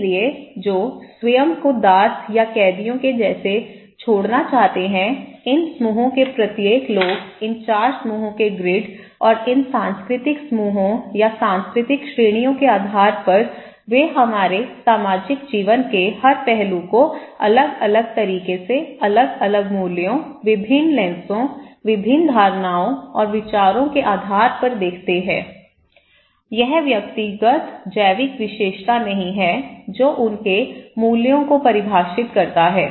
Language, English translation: Hindi, So, who are left to fend themselves and like the slave as I said or the prisoners okay, so each people of these groups; these 4 groups based on the grid and group of these cultural groups or cultural categories, they looks every aspect of our social life in different manner, different values, different lenses, different perceptions and opinions they have so, it is not the individual biological characteristics that define their values